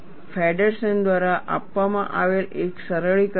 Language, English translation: Gujarati, There is a simplification given by Feddersen